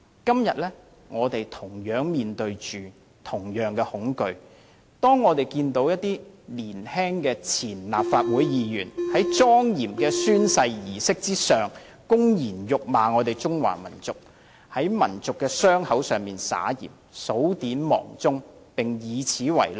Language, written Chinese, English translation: Cantonese, 今天，我們面對着同樣的恐懼，當我們看見一些年青的前候任立法會議員在莊嚴的宣誓儀式上，公然侮辱中華民族，在民族的傷口上撒鹽，數典忘祖，並以此為樂。, Today we were faced with the same fear . Two former Members - elect openly insulted the Chinese nation rubbed salt into the wounds of our nation forgot their ancestry and took pride in what they did at the solemn oath - taking ceremony